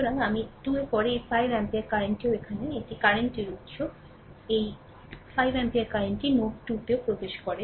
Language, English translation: Bengali, So, this is i 2 then this 5 ampere current also here, this is current source, this 5 ampere current also entering into node 2